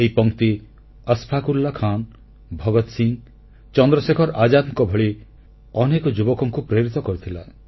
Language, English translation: Odia, These lines inspired many young people like Ashfaq Ullah Khan, Bhagat Singh, Chandrashekhar Azad and many others